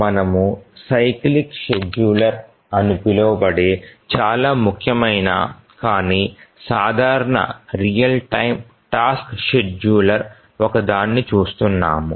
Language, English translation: Telugu, So, so far we have been looking at the one of the very important but simple real time task scheduler known as the cyclic scheduler